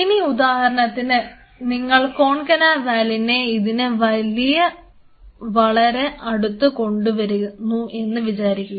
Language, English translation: Malayalam, Now say for example, you bring in a concana valine in close proximity to this